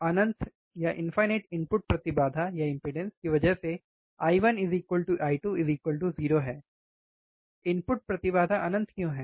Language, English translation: Hindi, Infinite input impedance I 1 equals to I 2 equals to 0, why input impedance is infinite